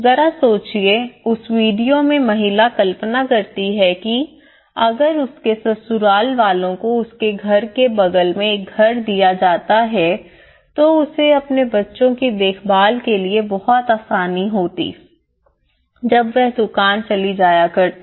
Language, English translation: Hindi, Just imagine, of the lady in that video imagine if her in laws was given a house next to her house she would have got little support to look after her kids when she was running the shop